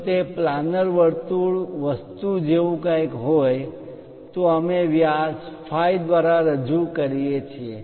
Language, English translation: Gujarati, If it is something like a circle planar thing, we represent by diameter phi